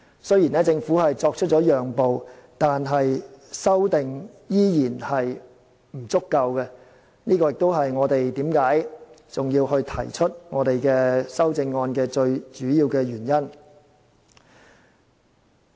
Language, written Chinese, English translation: Cantonese, 雖然政府作出讓步，但有關的修訂仍然不足夠，這亦是我們提出修正案的主要原因。, Despite this concession made by the Government the amendment remains inadequate and this is also the main reason for us to propose our amendments